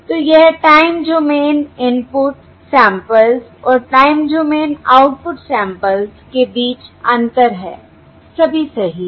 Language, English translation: Hindi, all right, So this is the difference between the time domain input samples and the time domain output samples